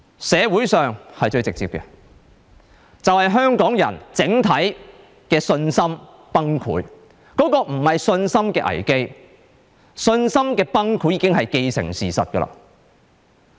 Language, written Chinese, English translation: Cantonese, 社會是最直接的，香港人整體的信心崩潰，這不是信心的危機，信心的崩潰已經既成事實。, The confidence of Hong Kong people has collapsed . This is more than a confidence crisis . It is a hard fact that our confidence has collapsed